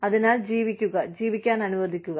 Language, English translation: Malayalam, So, live and let live